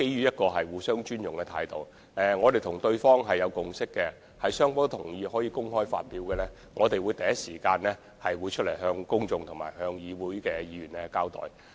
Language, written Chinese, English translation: Cantonese, 不過，基於互相尊重，我們跟對方已有共識，就雙方均同意可以公開發表的安排，我們會第一時間向公眾和議會作出交代。, Yet on the basis of mutual respect we have agreed with our counterpart that only if an agreement has been obtained from both sides to disclose certain arrangements the public and the Legislative Council will be informed of the arrangements at the earliest possible time